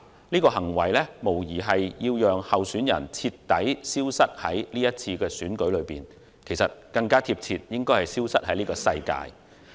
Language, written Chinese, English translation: Cantonese, 此行為無疑是要令候選人徹底消失於今次選舉，又或更貼切的是消失於這個世界。, The attack undoubtedly sought to make the candidate disappear completely from the election or to put it more accurately make him disappear in this world